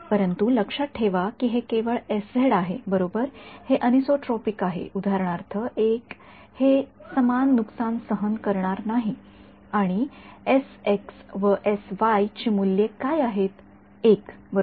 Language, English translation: Marathi, But remember that this is s z only right it is anisotropic its not be its not the it's not going to experience the same loss for example, s x and s y what are the values of s x and s y one right